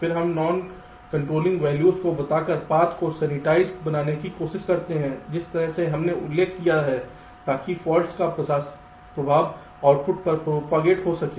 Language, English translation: Hindi, then we try to sensitize the path by assigning non controlling values, just in the way we mentioned ok, so that the effect of the fault can propagate up to the output